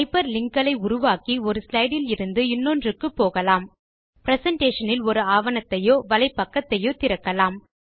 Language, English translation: Tamil, Hyper linking allows you to easily move from slide to slide or open a web page or a document from the presentation